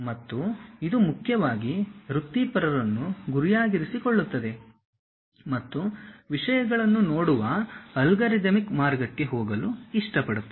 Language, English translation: Kannada, And this is mainly aimed at professionals, and who love to go for algorithmic way of looking at the things